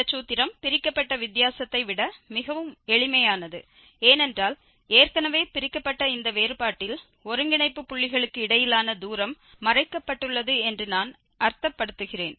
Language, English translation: Tamil, And the formula looks much simpler than the divided difference because in this divided difference already that h, I mean the distance between the nodal points are hidden